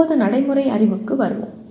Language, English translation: Tamil, Now come to Procedural Knowledge